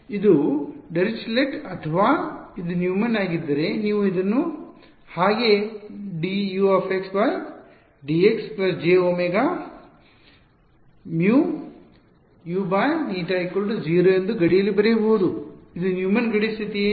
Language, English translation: Kannada, Is it Dirichlet is it Neumann if you want you can rewrite this as d by d x U x plus j omega mu eta U x is equal to 0 at boundary is it a Neumann boundary condition